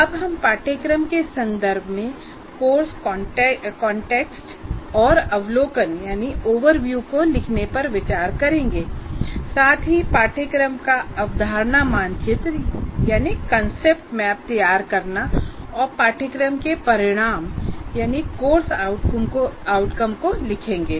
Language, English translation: Hindi, And right now, we will look at the first three, namely writing the course context and overview, preparing the concept map of the course and writing course outcomes